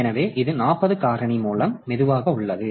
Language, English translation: Tamil, So, this is a slow down by a factor of 40